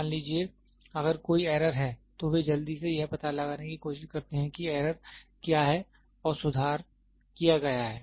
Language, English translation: Hindi, Suppose if there is error, then they quickly try to find out what is the error and correction is made